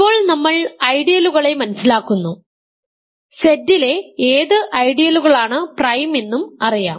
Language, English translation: Malayalam, Now that we understand ideals, which ideals in Z are prime, let us look at more examples ok